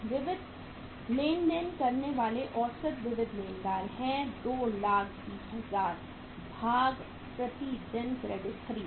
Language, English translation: Hindi, Sundry creditor average sundry creditors are 220000 2 lakh twenty thousands divided by the average credit purchased per day